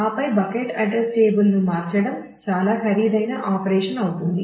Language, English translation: Telugu, And then changing the bucket address table will become a quite an expensive operation